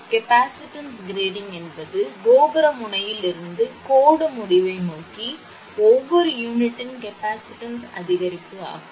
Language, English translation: Tamil, Capacitance grading means an increase in the capacitance of each unit from the tower end towards the line end